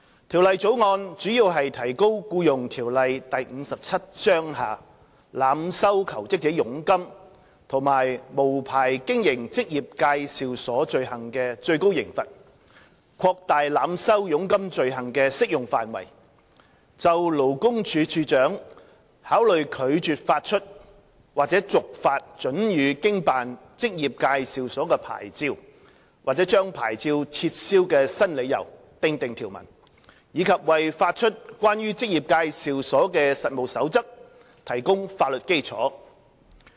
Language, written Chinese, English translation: Cantonese, 《條例草案》主要提高《僱傭條例》下濫收求職者佣金及無牌經營職業介紹所罪行的最高刑罰、擴大濫收佣金罪行的適用範圍、就勞工處處長考慮拒絕發出或續發准予經辦職業介紹所的牌照、或將牌照撤銷的新理由訂定條文，以及為發出關於職業介紹所的實務守則提供法律基礎。, The Bill mainly seeks to raise the maximum penalty for the offences of overcharging job - seekers and unlicensed operation of employment agencies EAs provided for in the Employment Ordinance Cap . 57 ; expand the scope of application of the overcharging offence; provide for new grounds for the Commissioner for Labour to consider refusing to issue or renew or revoking a licence to operate an EA and provide a legal basis for the issue of Codes of Practice for EAs